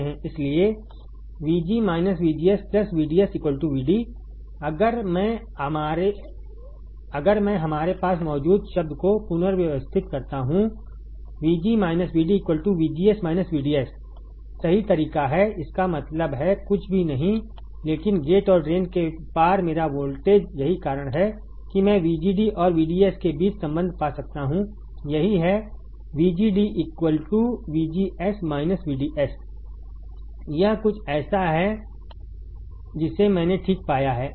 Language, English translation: Hindi, If I rearrange the term we have VG minus VD is nothing, but 5 VGD right that is way; that means, my voltage at the gate minus voltage at the drain is nothing, but my voltage across gate and drain that is why I can find the relation between VGD and VDS, that is VGD equals to VGS minus VDS this is something that I have found all right